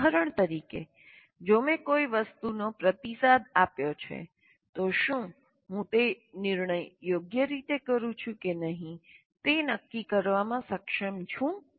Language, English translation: Gujarati, For example, if I have responded to something, am I able to make a judgment whether I have done it correctly or not